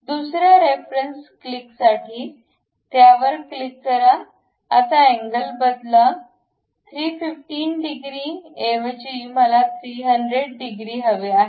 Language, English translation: Marathi, For the second reference click, click that; now change the angle, instead of 315 degrees, I would like to have some 300 degrees